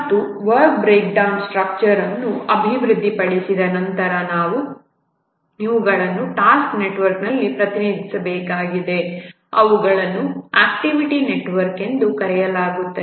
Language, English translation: Kannada, And once the work breakdown structure has been developed, we need to represent these in a task network, which are also called as activity network